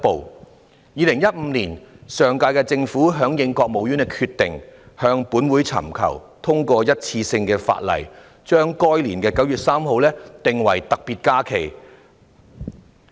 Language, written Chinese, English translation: Cantonese, 在2015年，上屆政府響應國務院的決定，向立法會尋求通過一次性的法例，把該年的9月3日訂為特別假期。, In 2015 pursuant to the decision made by the State Council the last - term Government sought the enactment of a piece of legislation by the Legislative Council to designate 3 September of that year on a one - off basis as a special holiday